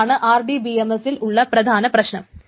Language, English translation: Malayalam, So this is the RDBMS, that is the term